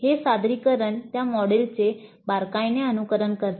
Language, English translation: Marathi, This presentation closely follows that model